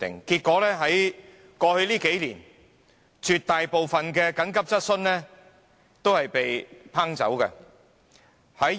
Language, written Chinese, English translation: Cantonese, 結果在過去數年，絕大部分緊急質詢申請均不獲批准。, As a result most of the applications made for asking an urgent question were rejected over the past few years